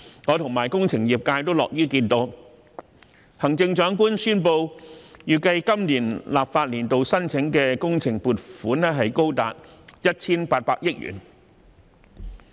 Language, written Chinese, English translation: Cantonese, 我及工程業界也樂於看到行政長官宣布預計在本立法年度申請的工程撥款高達 1,800 億元。, The engineering sector and I are pleased to see that the Chief Executive announced the estimation that works projects seeking funding in this legislative year would amount to 180 billion